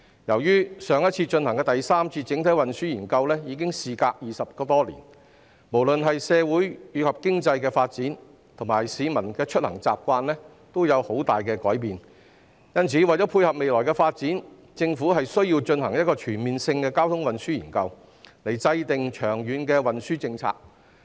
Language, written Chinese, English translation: Cantonese, 由於上次進行第三次整體運輸研究已經事隔20多年，不論是社會及經濟發展，以及市民的出行習慣均有很大改變，因此，為了配合未來發展，政府需要進行一項全面的交通運輸研究，從而制訂長遠運輸政策。, It has been some 20 years since the Third Comprehensive Transport Study was last conducted . Be it social and economic development or the peoples travelling habits there have been substantial changes . For this reason to dovetail with future development the Government needs to conduct a comprehensive traffic and transport study with a view to formulating a long - term transport policy